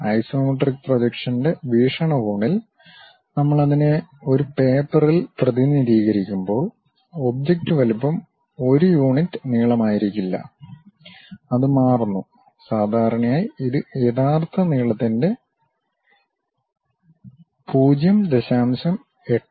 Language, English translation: Malayalam, When we are representing it on a paper in the perspective of isometric projection; the object size may not be one unit length, it changes, usually it change to 0